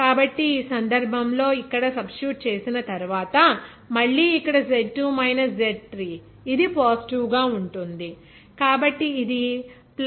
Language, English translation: Telugu, So, in that case here again after substitution here in this case Z2 minus Z3, it will be positive, so it will be +0